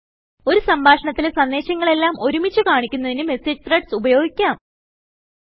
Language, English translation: Malayalam, We use message threads to view related messages as one entire conversation, in a continuous flow